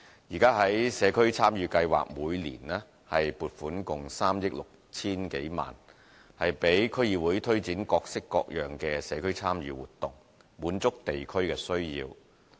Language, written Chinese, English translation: Cantonese, 現時，社區參與計劃每年撥款共3億 6,000 多萬元，讓區議會推展各式各樣的社區參與活動，滿足地區的需要。, At present the total annual funding for the Community Involvement Programme amounts to some 360 million which allows DCs to carry out various kinds of community involvement projects and meet local needs